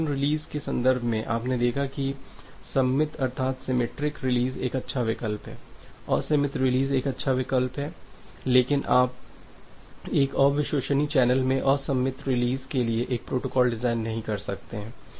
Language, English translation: Hindi, In the context of connection release you have seen that well symmetric release is a good option asymmetric release is a good option, but you cannot design a protocol for asymmetric release in a in a unreliable channel